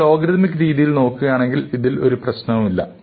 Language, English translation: Malayalam, So, now clearly, if we are looking in the logarithmic scale, there is no problem